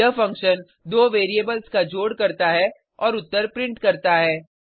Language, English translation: Hindi, This function performs the addition of 2 variables and prints the answer